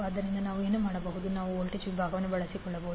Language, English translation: Kannada, So what we can do, we can utilize the voltage division